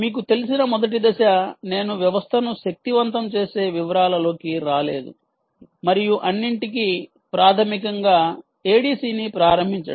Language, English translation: Telugu, the very first step, as you know i have not been getting into details of powering the system and all that ah is to basically initialize the a d c